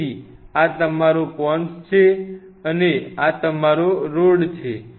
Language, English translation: Gujarati, So, this is your Cone and this is your Rod